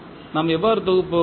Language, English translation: Tamil, How we will compile